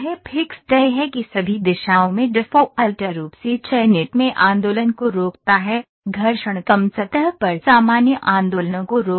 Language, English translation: Hindi, Fixed is that prevents the movement in the selected by default all directions, friction less is prevents movements normal to the surface